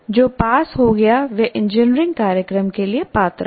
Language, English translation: Hindi, Anyone who passed is eligible for engineering program